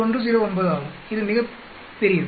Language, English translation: Tamil, 109 which is much very large